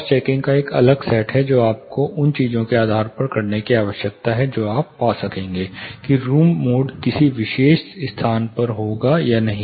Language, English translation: Hindi, There is a separate you know set of cross checking that you need to do depending on those things, you will be able to find whether room mode would occur in a particular space or not